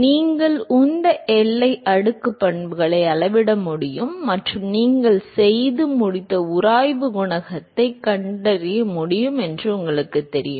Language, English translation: Tamil, If you know you are able to measure the momentum boundary layer properties and are able to find the friction coefficient you are done